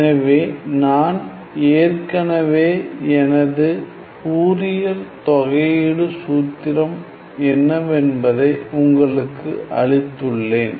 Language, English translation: Tamil, So, I have already given you what is the Fourier integral formula